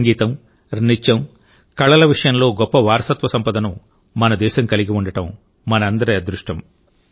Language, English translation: Telugu, It is a matter of fortune for all of us that our country has such a rich heritage of Music, Dance and Art